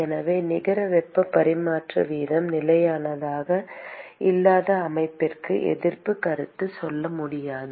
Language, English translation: Tamil, So, the resistance concept is not valid for the system where the net heat transfer rate is not constant